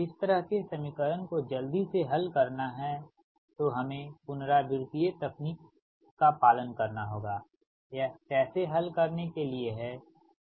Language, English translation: Hindi, so if we i mean one to solve fast this kind of equation, we have to follow that iterative technique right, that how to solve this